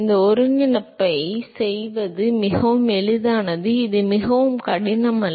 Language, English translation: Tamil, It is quite easy to do this integration, it is not very hard